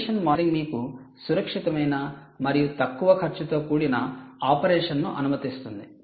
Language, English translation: Telugu, condition monitoring will enable you safe and very cost effective operation